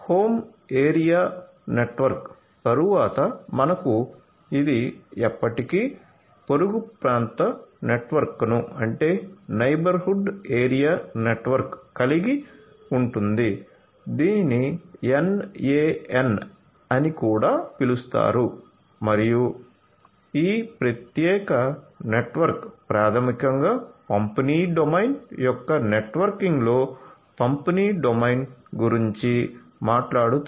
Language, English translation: Telugu, So, home area network, after home area network we will have this never neighborhood area network in short it is also known as the NAN and so, this particular network basically talks about the distribution domain in the networking of the distribution domain